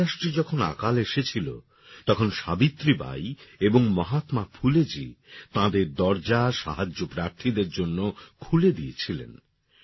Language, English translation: Bengali, When a famine struck in Maharashtra, Savitribai and Mahatma Phule opened the doors of their homes to help the needy